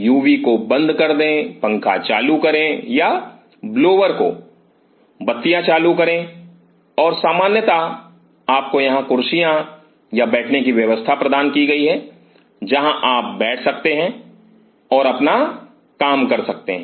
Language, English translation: Hindi, Switch of the UV switch on the fan or the blowers switch on the light and generally you are provided here with the chair or a sitting arrangement where you can sit and do the work